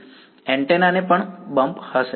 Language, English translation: Gujarati, the antenna also will have a bump